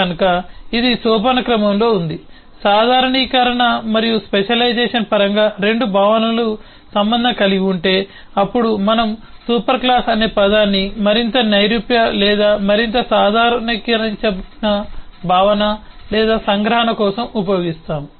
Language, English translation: Telugu, if 2 concepts are related in terms of generalisation and specialisation, then we will use the term superclass for more abstract or more generalised concept or abstraction